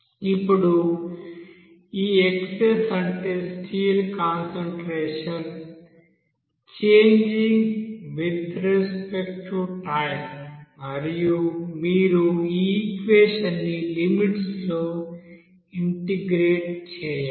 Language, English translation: Telugu, Now this x s that is steel concentration will be changing with respect to time and you have to integrate this equation within a certain limit of that as per condition given in the problem